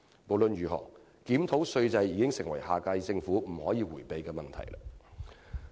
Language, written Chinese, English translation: Cantonese, 無論如何，檢討稅制已成為下屆政府不能迴避的問題。, In any case a review of the tax regime is an issue that the next - term Government cannot evade